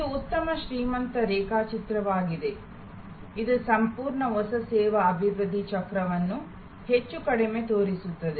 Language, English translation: Kannada, This is a very good rich diagram; it shows more or less the entire new service development cycle